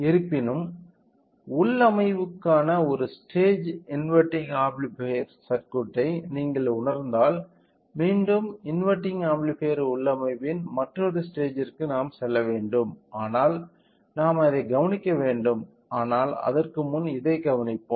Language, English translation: Tamil, However, in if you realise our circuit along with this one stage of inverting amplifier for configuration again we have to go with other stage of inverting amplifier configuration then we have to observe it, but before that let just have a look